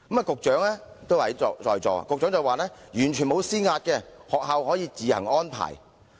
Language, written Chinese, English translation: Cantonese, 局長現時也在席，他說完全沒有施壓，學校可以自行安排。, The Secretary who is also present at the meeting now said that he had not exerted pressure on schools as schools could make their own arrangement